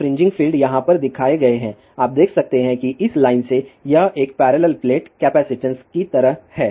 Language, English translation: Hindi, The fringing fill is a shown over here, you can see that from this line, it just like a parallel plate capacitance